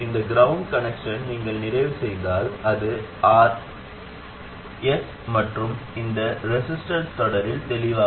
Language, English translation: Tamil, If you complete this ground connection, it becomes obvious, it's RS and this resistance in series